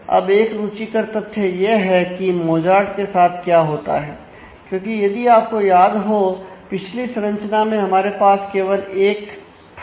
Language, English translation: Hindi, Now the interesting fact is what happens to Mozart who which was there if you if you remember the earlier structure this is we had only 1 here